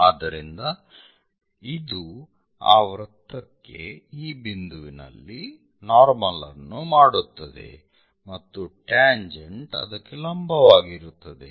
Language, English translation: Kannada, So, this is the one which makes normal to that circle at this point, and tangent will be perpendicular to that this will be